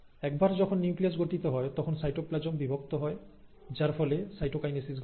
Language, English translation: Bengali, This process, where the cytoplasm also divides, is what you call as the cytokinesis